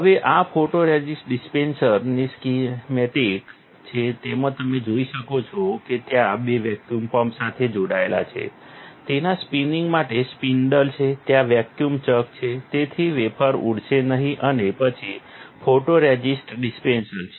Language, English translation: Gujarati, Now, this is the this is the schematic of the photoresist dispenser, where you can see there is it is connected to a vacuum pump, there is a spindle for spinning it, there is a vacuum chuck, so that wafer will not fly and then there is a photoresist dispenser